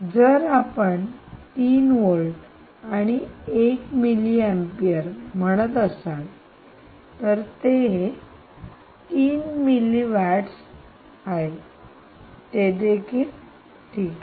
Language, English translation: Marathi, where, as if you say three volts and one milliampere, then you are still at three milliwatts, which is still fine, right